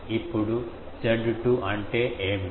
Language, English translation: Telugu, Now, what is Z 2